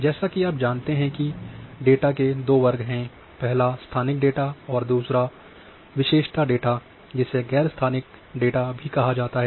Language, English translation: Hindi, As you know that there are two sets of data and GIS we will put one is a spatial data, another one is a attribute data or we have also called as none spatial data